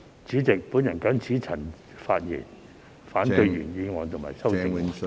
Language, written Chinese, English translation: Cantonese, 主席，我謹此陳辭，反對原議案和修正案。, With these remarks President I oppose the original motion and the amendments